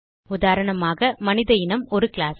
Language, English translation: Tamil, For example human being is a class